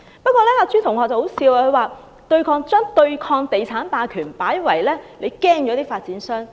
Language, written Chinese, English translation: Cantonese, 可笑的是，朱同學把對抗地產霸權說成是怕了發展商。, More ridiculous still classmate CHU described our fight against real estate hegemony as our fear of developers